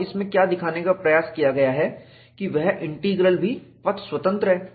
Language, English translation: Hindi, And what is attempted to be shown in this is, the integral is also path independent